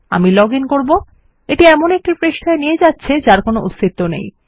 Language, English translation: Bengali, Ill log in and it goes to a page that doesnt exist